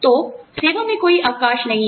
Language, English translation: Hindi, So, no break in service